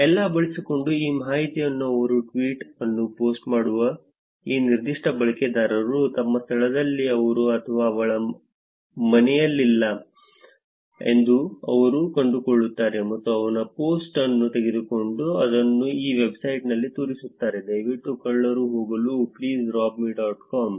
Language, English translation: Kannada, Using all this information they find out that this particular user who is posting this tweet is not in his or her home in location and therefore, they would actually take the post and show it in this website called please rob me dot com for burglars to go and rob the home